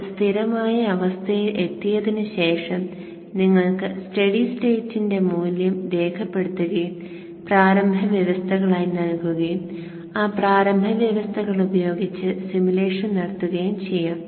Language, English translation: Malayalam, After it reaches steady state you can then note down the steady state value and give it as initial conditions and do the simulation with those initial conditions